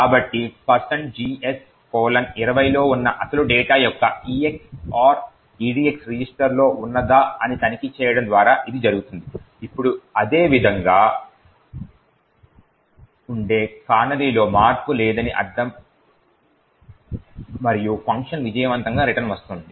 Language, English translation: Telugu, So, this is done by checking whether the EX OR of the original data present in GS colon 20 is the same as that in the EDX register, it would that the now if it is the same it would mean that there is no change in the canary and the function return successfully